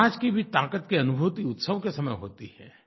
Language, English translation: Hindi, The true realisation of the strength of a society also takes place during festivals